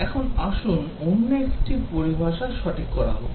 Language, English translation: Bengali, Now, let us get another terminology correct